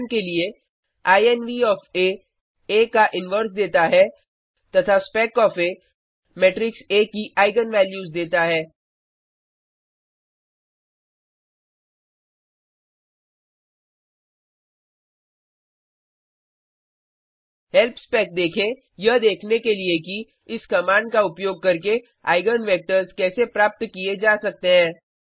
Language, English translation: Hindi, For example: inv of A gives the inverse of A and spec of A gives the eigen values of matrix A See help spec to see how eigenvectors can also be obtained using this command